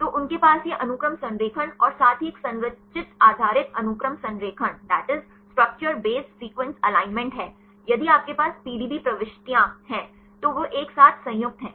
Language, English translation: Hindi, So, they have this sequence alignment as well as a structured based sequence alignment; they are combined together, if you have the PDB entries